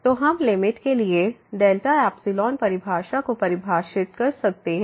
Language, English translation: Hindi, So, we can define delta epsilon definition as for the limit